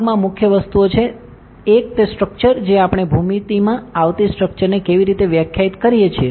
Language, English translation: Gujarati, In the component there are main things one is the structure how do we define the structure that comes in the geometry, ok